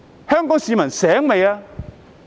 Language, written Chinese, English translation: Cantonese, 香港市民清醒了嗎？, Have Hong Kong people woken up yet?